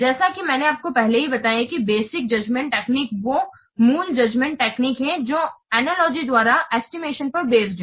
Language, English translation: Hindi, As I have already told you this basic judgment technique is basic export judgment techniques based on the estimation by analogy